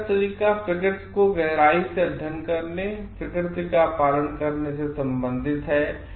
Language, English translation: Hindi, Way of knowledge relates to studying nature deeply and being observant of what nature possesses